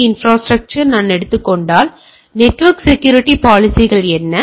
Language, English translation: Tamil, Say, if I take a IT infrastructure, what is the network security policies